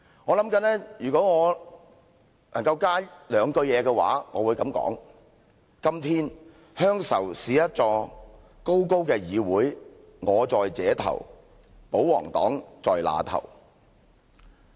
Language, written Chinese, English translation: Cantonese, "我在想如果我能在這詩上多加兩句，我會這樣說："今天，鄉愁是一座高高的議會，我在這頭，保皇黨在那頭。, I am on this side; the Mainland is on the other . I am thinking that if I can add two lines to the end of this poem I will say Today nostalgia is a high legislature . I am on this side; the royalists are on the other